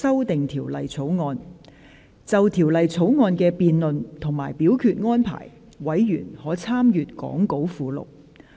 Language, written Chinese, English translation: Cantonese, 就條例草案的辯論及表決安排，委員可參閱講稿附錄。, Members may refer to the Appendix to the Script for the debate and voting arrangements for the Bill